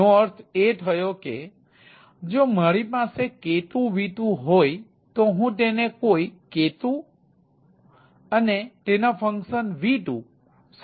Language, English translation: Gujarati, that means if i have, as you as k two, v two, then i map it to some k two and function of of that v two